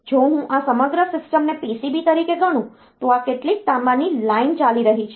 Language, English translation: Gujarati, If I consider this entire system as if as a PCB, these are some copper lines running